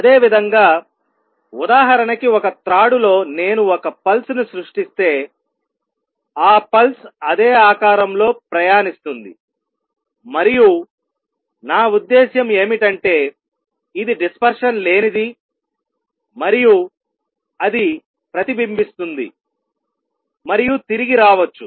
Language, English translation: Telugu, Similarly on a string, if I create a pulse for examples a pulse like this it travels down the same shape and this, what I mean it is dispersion less and that it may get reflected and come back